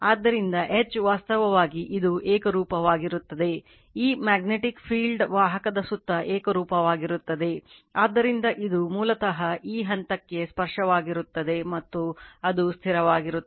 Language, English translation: Kannada, So, then H actually it is uniform this magnetic field is uniform around the conductor, so, it is basically tangential to this point, and it remains constant right